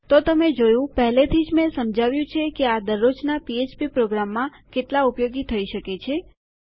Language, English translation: Gujarati, So you see, already I have explained how useful these can be in so many every day php applications